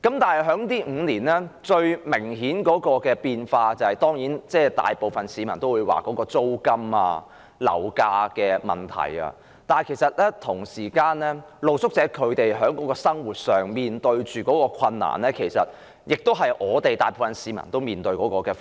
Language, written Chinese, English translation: Cantonese, 若說這5年來最明顯的變化，當然，大部分市民也會認為是在租金和樓價方面，但露宿者在生活上所面對的困難，其實亦是大部分市民也須面對的。, As to the most noticeable changes in the past five years the majority of the public will definitely think of rent and property prices but the difficulties faced by street sleepers in daily life will in fact also be faced by the majority of the public